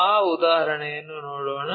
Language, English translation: Kannada, Let us look at that example